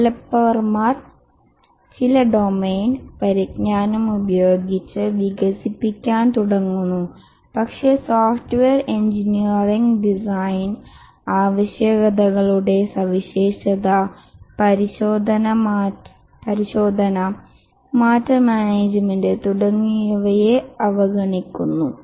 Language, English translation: Malayalam, The developers start developing with some domain knowledge but then they ignore the software engineering issues, design, requirement specification, testing, change management and so on